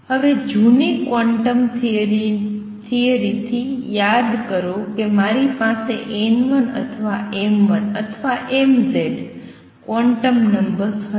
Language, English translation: Gujarati, Now remember from the old quantum theory I had n l n m l or m z quantum numbers